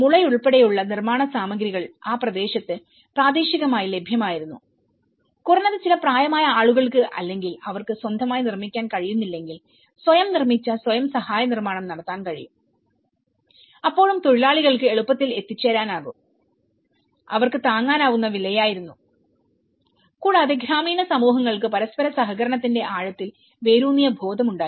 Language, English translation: Malayalam, Construction materials including bamboo were available locally in that region and at least if some elderly people or if they are unable to make their own can self built self help construction then still the labour was easily accessible and they were affordable as well and rural communities have a deep rooted sense of mutual cooperation